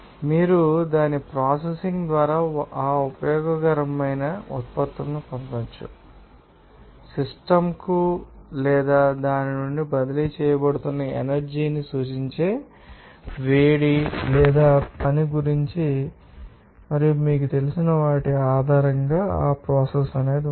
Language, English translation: Telugu, You can get that useful products by its processing and so, we can see that what about heat or work that will be refer to the energy that is being transferred to or from the system and based on who is that you know, that process would be you know, assist and you can see that performance of the process will be analyzed